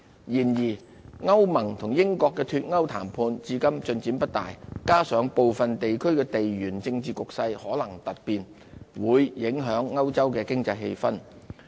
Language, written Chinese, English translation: Cantonese, 然而，歐盟與英國的脫歐談判至今進展不大，加上部分地區的地緣政治局勢可能突變，會影響歐洲經濟氣氛。, However the lingering Brexit negotiations between the European Union and the United Kingdom as well as the possibility of sudden change in geopolitics in some areas have cast shadow on the economic sentiment in Europe